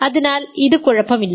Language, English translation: Malayalam, So, this is ok